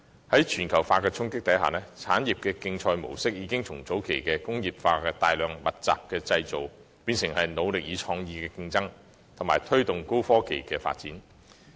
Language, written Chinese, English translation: Cantonese, 在全球化的衝擊下，產業競賽模式已由早期工業化的大量和密集式生產，演變成腦力與創意的競爭，藉以推動高科技的發展。, As a result of globalization the mode of industrial competition has evolved with mass and labour - intensive production at the early stage of industrialization replaced by a competition in terms of mental capacity and creativity with a view to promoting the development of high technology